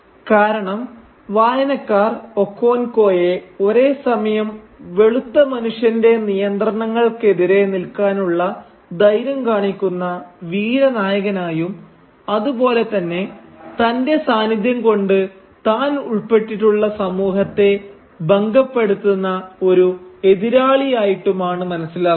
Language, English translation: Malayalam, And this is because the reader perceives Okonkwo both as a heroic figure who shows the courage to stand up to the white man’s coercion as well as an antagonist whose very presence is disruptive to the society to which he belongs